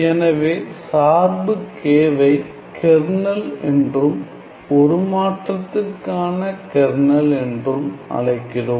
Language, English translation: Tamil, So, the function K we call it as the kernel, the kernel of the transform